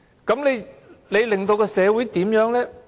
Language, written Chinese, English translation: Cantonese, 這令社會變得怎樣呢？, What changes will it cause to society?